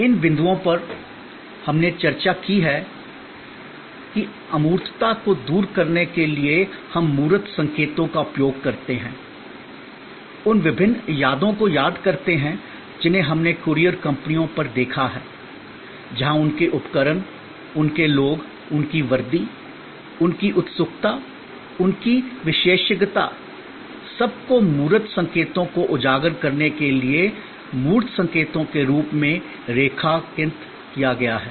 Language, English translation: Hindi, These points we have discussed that to overcome intangibility we use tangible cues, remember those different adds we looked at of courier companies, where their equipment, their people, their uniform, their eagerness, their expertise are all highlighted as tangible cues to overcome the intangibility of the service they are providing